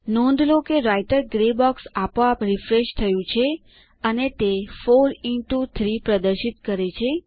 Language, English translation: Gujarati, Notice that the Writer gray box has refreshed automatically and it displays 4 into 3